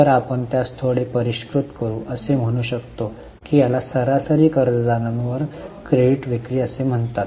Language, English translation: Marathi, So, we can refine it a bit and say it, call it as credit sales upon average debtors